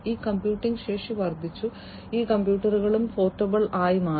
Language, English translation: Malayalam, So, this computing capacity has increased and these computers have also became become portable